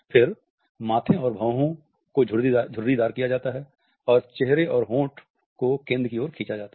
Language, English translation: Hindi, Then forehead and eyebrows are wrinkled and pull towards the center of the face and lips are also is stretched